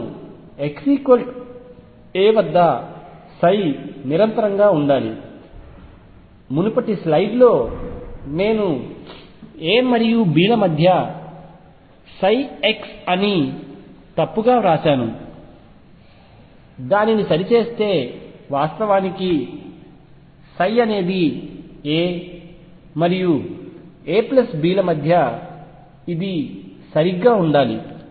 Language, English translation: Telugu, We get that psi at x equals a should be continuous, just a correction on previous slide I had written psi x between a and b that was not correct, it is actually psi between a and a plus b this should be correct